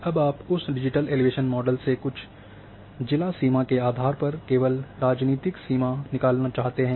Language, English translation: Hindi, Now you want to extract that digital elevation model only for a say shape political boundary say based on certain district boundary